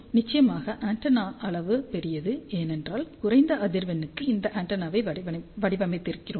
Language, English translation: Tamil, Of course, the antenna size is large, because we have designed this antenna at low frequency antenna size is inversely proportional to the frequency